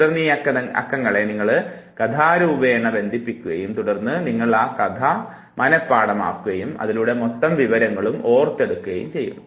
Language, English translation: Malayalam, Those numbers are then further linked in the form of a story and then you memorize the story you remember the whole information